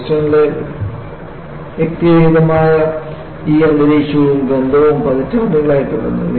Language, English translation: Malayalam, The smell remained for decades, a distinctive atmosphere of Boston